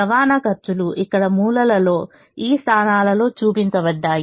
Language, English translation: Telugu, the costs of transportation are shown here in the corner of these positions